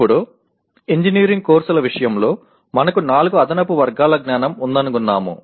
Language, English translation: Telugu, Now in case of engineering courses, we found that we have four additional categories of knowledge